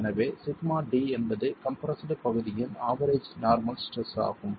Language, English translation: Tamil, So, sigma D is the average normal stress on the compressed area